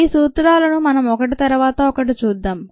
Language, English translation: Telugu, let us see the principles one by one